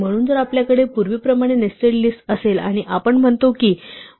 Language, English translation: Marathi, So, if we have a list nested as we had before and we say nested of 1 is 7